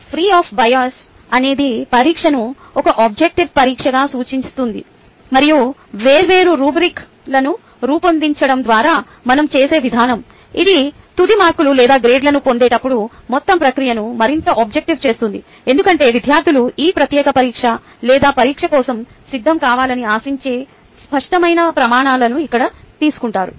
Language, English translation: Telugu, free of bias refers to the exam being an objective exam, and the way we do it is by designing different rubrics, which makes the whole process more objective when deriving a final marks or grades, and because the students get here a clear criterias of what is expected ah for them to come prepared for this particular exam or test